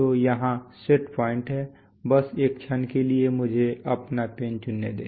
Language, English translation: Hindi, So here is the set point, here is the set point, just a moment let me select my pen